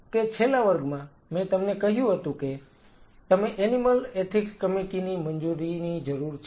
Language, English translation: Gujarati, So, you remember in the last class I told you that you needed the animal ethics committee clearance